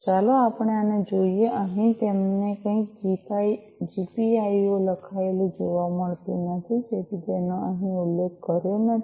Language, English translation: Gujarati, Let us look at this over here you do not find any GPIO written, right, so it is not mentioned over here